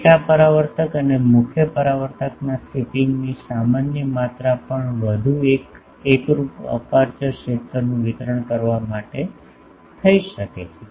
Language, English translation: Gujarati, Also a modest amount of shipping of the sub reflector and the main reflector can be carried out in order to give a more uniform aperture field distribution